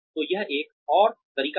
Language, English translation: Hindi, So, that is one more way